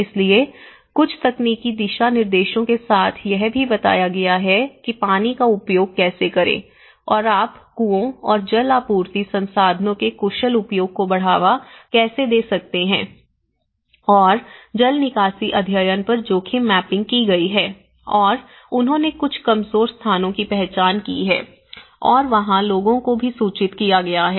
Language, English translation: Hindi, So, there have been also provided with certain technical guidelines, how to use water and you know promoting an efficient use of wells and water supply resources and risk mapping has been done on the drainage studies and they also identified certain vulnerable locations, so, there have been also communicated to the people